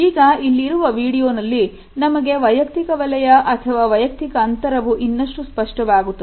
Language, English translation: Kannada, In this video, our idea of the personal zone or personal space also becomes clear